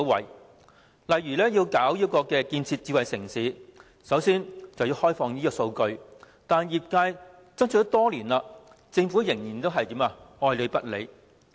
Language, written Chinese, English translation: Cantonese, 又例如，政府要建設智慧城市，首先必須開放數據。可是，業界爭取多年，政府依然愛理不理。, Another example is that in building a smart city the Government must first open up its data but it remains indifferent to this suggestion after years of campaigning by the sector